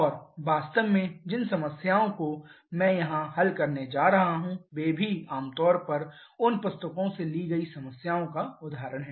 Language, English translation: Hindi, And in fact the problems that I am going to solve here those are also generally example problems taken from those books only